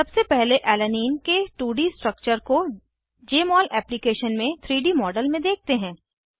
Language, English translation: Hindi, First, lets view the 2D structure of Alanine as 3D model in Jmol Application